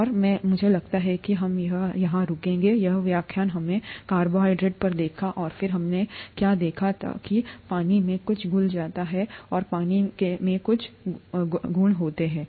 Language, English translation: Hindi, And I think we will stop here, this lecture we looked at carbohydrates and then we looked at what happens when something dissolves in water and some properties of water